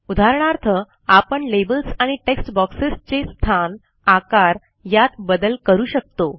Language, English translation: Marathi, For example, we can change the placement and size of the labels and text boxes